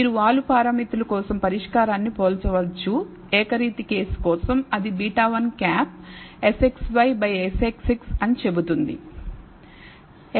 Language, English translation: Telugu, You can also compare the solution for the slope parameters, for the, with the univariate case which says beta 1 hat is SXy divided by SXX